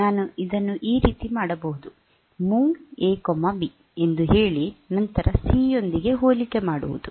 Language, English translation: Kannada, So, I can do it like this say MOV A,B, then compare with C